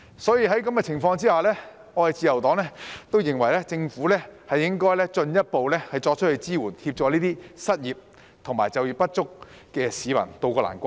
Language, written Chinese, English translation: Cantonese, 所以，在這種情況下，自由黨都認為政府應該進一步作出支援，協助這些失業及就業不足的市民渡過難關。, Thus under such circumstances the Liberal Party also considers that the Government should offer further assistance to help those unemployed and underemployed weather the difficult times